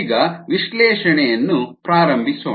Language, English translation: Kannada, ok, let's begin the analysis